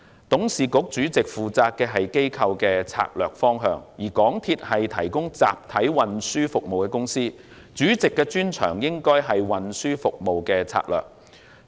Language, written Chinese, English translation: Cantonese, 董事局主席負責的是機構的策略方向，而港鐵公司是提供集體運輸服務的公司，主席的專長應該在於運輸服務的策略。, The chairman of the board is responsible for the strategic direction of the organization . As MTRCL is primarily a provider of mass transit service its Chairman should specialize in strategies for transit service